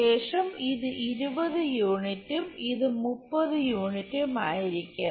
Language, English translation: Malayalam, And then this will be 20 units and this will be 30 units